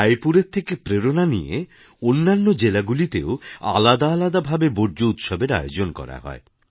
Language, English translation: Bengali, Raipur inspired various types of such garbage or trash festivals in other districts too